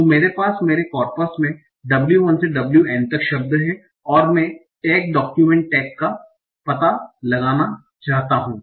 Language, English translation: Hindi, So I have the words in my corpus, W1 to WN, and I want to find out the tax, the optimal text